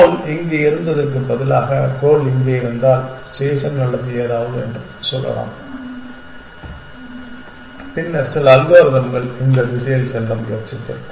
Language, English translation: Tamil, If the goal of was instead of here is the goal was here, let us say station or something then the certain algorithm would have try to go in this direction essentially